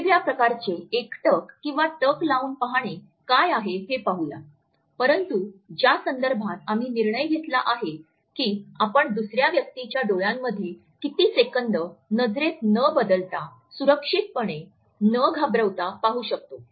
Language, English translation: Marathi, We will look at what are the different types of gazes, but in the context which we have decided upon for how many seconds we can safely look into the eyes of the other person without changing it into an intimidating gaze